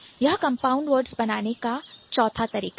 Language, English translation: Hindi, So, that's the fourth way of creation of compounding words